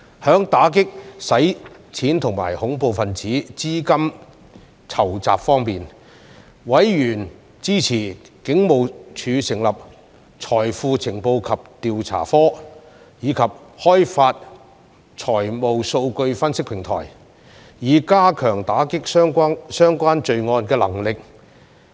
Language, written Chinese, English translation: Cantonese, 在打擊洗錢及恐怖分子資金籌集方面，委員支持警務處成立財富情報及調查科並開發財務數據分析平台，以加強打擊相關罪案的能力。, On combating money laundering and terrorist financing members supported the Hong Kong Police Force to establish the Financial Intelligence and Investigation Bureau and develop a financial data analytic platform for strengthening the capacity in combating relevant crimes